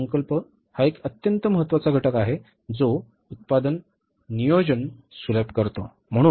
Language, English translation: Marathi, Budgets is a very important component which facilitates the production planning